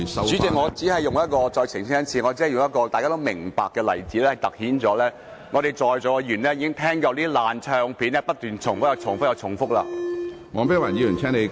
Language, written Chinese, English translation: Cantonese, 主席，我再次澄清，我只是用一個大家都明白的例子，凸顯在座議員已聽夠了像"爛唱片"般不斷重複的發言。, President let me make a clarification again . I was only using an example that everyone can understand to highlight the point that Members in this Chamber have heard enough of those persistent repetitions similar to listening to a broken record